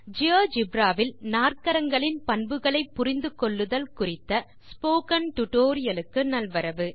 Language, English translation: Tamil, Welcome to this tutorial on Understanding Quadrilaterals Properties in Geogebra